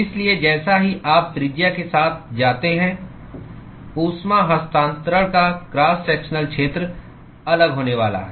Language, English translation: Hindi, So, as you go alng the radius, the cross sectional area of heat transfer is going to be different